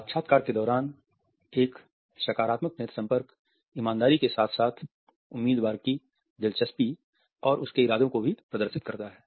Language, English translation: Hindi, A positive eye contact during interviews exhibits honesty as well as interest and intentions of the candidate